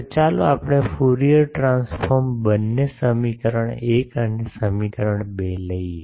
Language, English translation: Gujarati, So, let us take Fourier transform of both equation 1 and equation 2